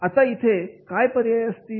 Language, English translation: Marathi, Now, what are the options